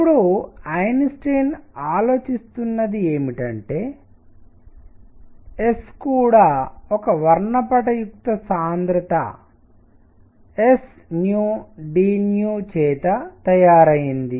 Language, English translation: Telugu, Now, what Einstein considers is that S is also made up of a spectral s nu d nu